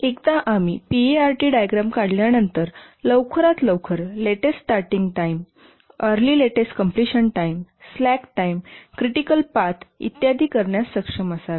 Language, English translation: Marathi, And once we draw the pot diagram, we should be able to compute the earliest, latest starting times, earliest latest completion times, slack times, critical path and so on